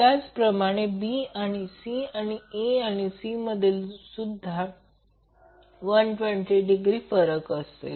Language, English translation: Marathi, Similarly, between B and C and between A and C will be also 120 degree